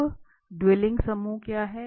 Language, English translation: Hindi, Now what is dueling group